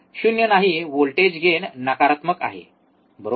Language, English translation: Marathi, Not 0, voltage gain voltage gain is negative, right